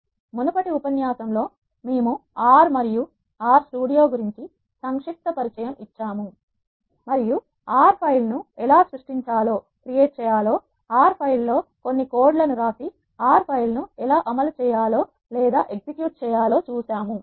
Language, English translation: Telugu, In the previous lecture we have given a brief introduction about R and R studio and we have seen how to create an R file write some codes in R file and how to execute an R file